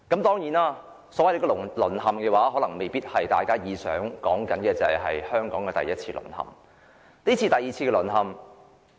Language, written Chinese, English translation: Cantonese, 當然，所謂"淪陷"未必是大家所說的第一次淪陷，現時是第二次淪陷。, Of course the so - called fallen may not necessarily be the first fall depicted by us . This is the second fall